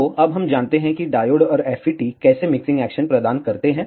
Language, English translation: Hindi, So, now we know that our diode and FET provide mixing action